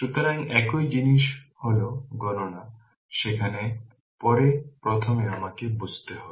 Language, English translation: Bengali, So, same thing it is calculation is there later first we have to understand